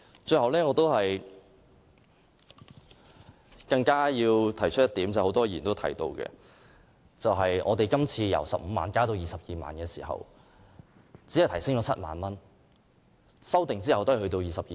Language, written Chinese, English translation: Cantonese, 最後，我想提出一點，亦有很多議員提到，就是今次的修訂由15萬元增加至22萬元，當中只增加7萬元，在修訂生效後也只是22萬元。, Before I stop I wish to raise one more point . As many Members have mentioned this amendment seeks to increase the bereavement sum by only 70,000 from 150,000 to 220,000 . The bereavement sum is a mere 220,000 after the amendment comes into effect